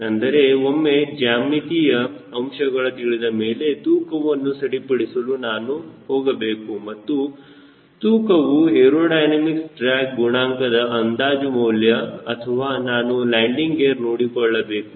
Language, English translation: Kannada, that is, once i know all this geometric parameter, should i go for refinement of the weight and the weight is to and the aerodynamic drag coefficient estimation, or i should go for landing